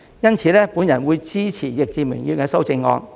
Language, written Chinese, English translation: Cantonese, 因此，我會支持易志明議員的修正案。, I will therefore support Mr Frankie YICKs amendment